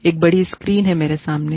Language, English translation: Hindi, There is a big screen, in front of me